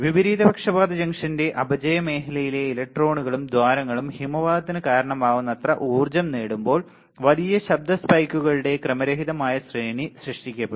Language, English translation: Malayalam, When electrons and holes in the depletion region of reversed biased junction acquire enough energy to cause avalanche effect a random series of large noise spikes will be generated